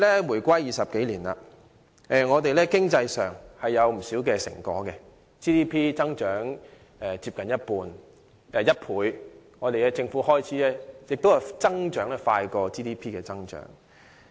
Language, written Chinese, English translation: Cantonese, 回歸20年，我們在經濟上取得不少成果 ，GDP 增長接近1倍，而政府開支的增幅甚至大於 GDP 增長。, Over the past 20 years since the reunification we have made a lot of economic achievements; our GDP has almost doubled and the rate of increase in government expenditures is even greater than that of our GDP